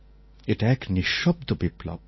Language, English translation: Bengali, This was a kind of a silent revolution